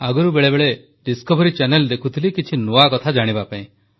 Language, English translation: Odia, Earlier I used to watch Discovery channel for the sake of curiosity